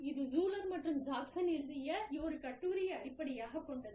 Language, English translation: Tamil, And, this is based on a paper, seminal paper, by Schuler and Jackson